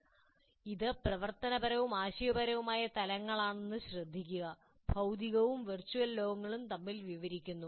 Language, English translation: Malayalam, Please note that it is operational as well as conceptual levels translating between the physical and virtual world